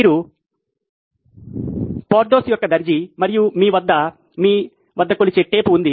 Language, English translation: Telugu, You are Porthos’s tailor and you have a measuring tape at your disposal